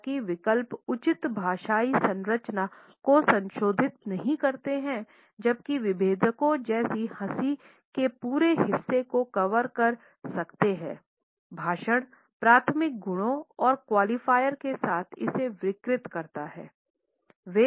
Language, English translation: Hindi, Although alternates do not modify the proper linguistic structure, while differentiators such as laughter may cover whole stretches of speech combined with primary qualities and qualifiers distorting it